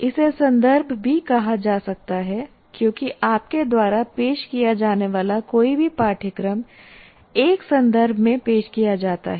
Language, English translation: Hindi, It can also be called context because any course that you offer is offered in a particular context